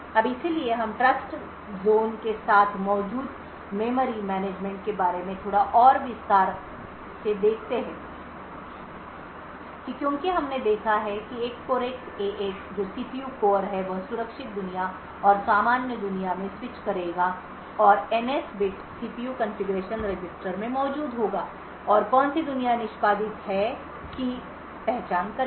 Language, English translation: Hindi, Now so we look at a little more detail about the memory management present with Trustzone as we have seen that the CPU core that is a Cortex A8 will be switching from the secure world and the normal world and the NS bit present in the CPU configuration register would identify which world is executed